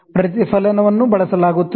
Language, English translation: Kannada, Reflection is used